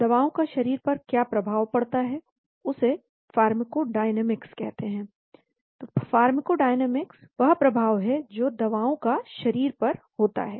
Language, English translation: Hindi, Pharmacodynamics is the effect of that drugs has on the body ; pharmacodynamics is the effect that drugs have on the body